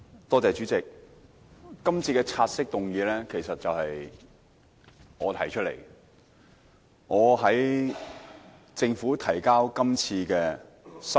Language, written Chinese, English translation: Cantonese, 代理主席，今次的察悉議案其實是我建議提出的。, Deputy President this take - note motion is in fact my idea